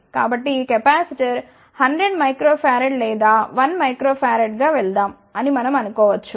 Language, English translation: Telugu, So, intuitively we may think, that ok let us go to this capacitor as 100 microfarad or 1 microfarad